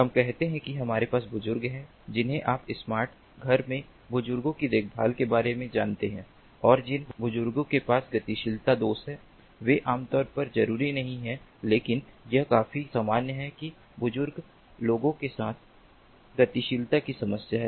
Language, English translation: Hindi, let us say that we have, you know, elderly care in a smart home and the elderly people, they have mobility impairments typically not necessarily, but it is quite common that there are mobility problems with elderly people